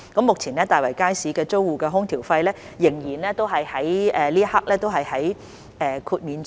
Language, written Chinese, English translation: Cantonese, 目前，大圍街市租戶的空調費用在這一刻仍獲得豁免。, The air - conditioning charges for the Market tenants are still being waived at this point in time